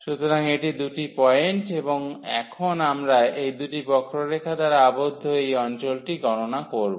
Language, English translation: Bengali, So, these are the two points and now we will compute the area of this region enclosed by these two curves